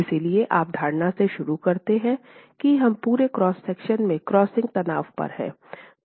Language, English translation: Hindi, So when you begin, you begin with the assumption that we are at the crushing strain in all the entire cross section